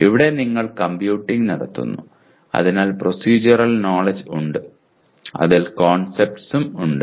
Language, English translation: Malayalam, Here you are computing, so there is procedural knowledge and there are concepts in that